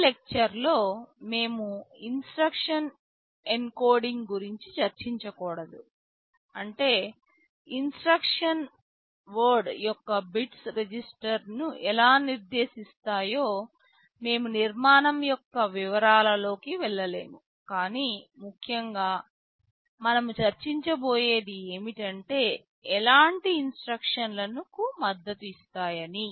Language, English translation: Telugu, In these lectures we shall not be discussing about the instruction encoding; that means, exactly how the bits of the instruction word specify the registers; we shall not be going into that detail of the architecture, but essentially what kind of instructions are supported those we shall be discussing